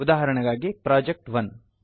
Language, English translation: Kannada, For example, project1